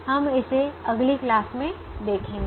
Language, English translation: Hindi, we will look at that in the next class